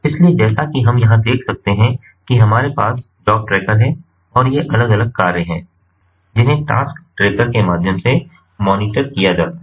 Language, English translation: Hindi, so, as we can see over here, we have the job tracker and these different tasks which are monitored through the task tracker